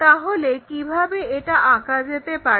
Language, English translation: Bengali, So, how to construct that